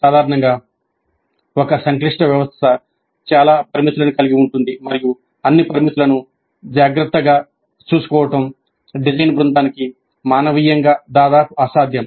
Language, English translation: Telugu, Usually a complex system will have too many parameters and it will be humanly almost impossible for the design team to take care of all the parameters